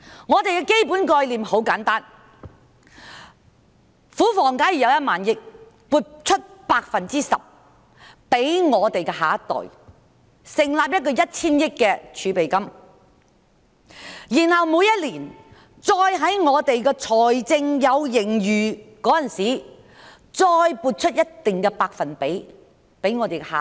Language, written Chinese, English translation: Cantonese, 我們的基本概念很簡單：假設庫房有1萬億元，那便撥出 10% 給下一代，成立1千億元的儲備金，然後在每年財政有盈餘的時候，再撥出一定的百分比給下一代。, Our basic concept is very simple . Assuming that there is 1 trillion in the Treasury 10 % of the amount will be allocated to the next generation by setting up a reserve of 100 billion . When there is surplus in the fiscal year a certain percentage will be allocated for the next generation